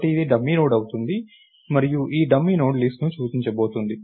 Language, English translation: Telugu, So, its going to be a dummy node, and this dummy Node is going to point to the list